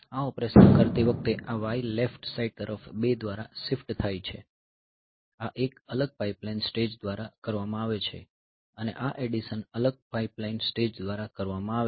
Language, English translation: Gujarati, So, while doing this operation this y left shifted by 2 so, this is done by a separate pipeline stage and this addition is done by a separate pipeline stage previously so, this was these two are done together